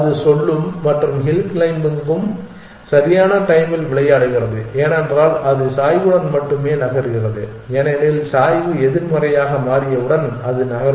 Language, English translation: Tamil, It would say and hill climbing also games on time because it only moves along the gradient it will stop moving once the gradient becomes negative